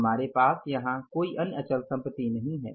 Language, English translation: Hindi, We don't have any other fixed asset here